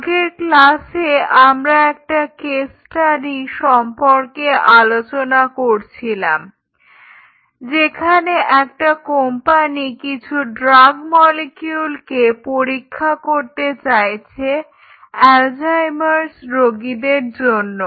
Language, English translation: Bengali, So, if you remember in the last class we talked about our case study where a company who has a set of molecules or drug molecules which it wishes to test for Alzheimer patients